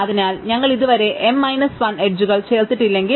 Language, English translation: Malayalam, So, long as we are not yet added n minus 1 edges